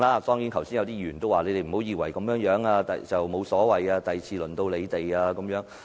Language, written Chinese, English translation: Cantonese, 剛才也有議員說，你們不要以為這樣沒有所謂，下次便輪到你們。, That said a Member has just reminded them not to be so assured that this is alright as they may become the subject next time